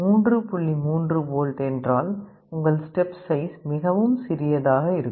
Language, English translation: Tamil, 3 volt, your step size will be much smaller